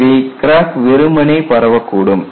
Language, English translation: Tamil, So, cracks will simply zip through